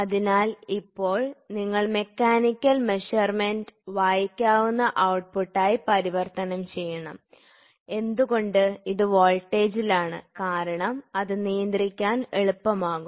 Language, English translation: Malayalam, So, now, you have to convert the mechanical measurement into a readable output, why it is in voltage because then it becomes easy for controlling